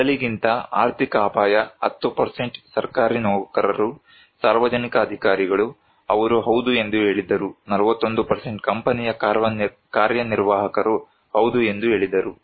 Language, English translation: Kannada, Economic risk than before 10% government employees public officials, they said yes, 41 % of company executive said yes